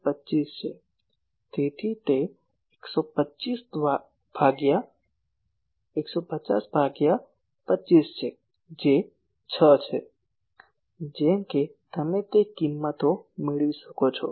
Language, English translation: Gujarati, So, it is 150 by 25 that is 6 , like that you can get those values